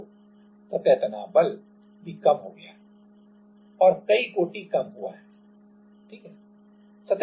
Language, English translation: Hindi, So, the surface tension force has also decreased and by several order, right